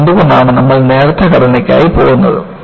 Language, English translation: Malayalam, And, why we go for thin structures